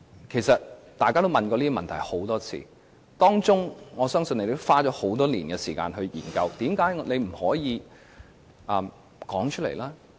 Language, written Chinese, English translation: Cantonese, 其實大家也問過這些問題很多次，我相信政府也花了很多年時間研究，但為甚麼政府不能說出來？, Since we have asked these questions repeatedly I believe the Government has spent a good number of years studying the arrangement . But why cant the Government reveal all these to us?